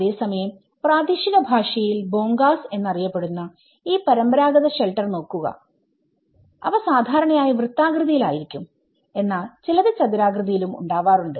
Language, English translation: Malayalam, Whereas, you can see these traditional shelter forms in local language they call also the Bhongas which is normally there in circular shape and in some cases they are in a kind of rectangular shape